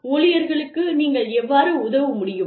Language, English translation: Tamil, How, you can help the employees